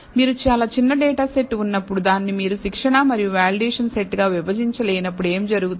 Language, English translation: Telugu, What happens when you have extremely small data set and you cannot divide it into training and validation set